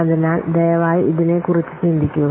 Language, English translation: Malayalam, So please think up on this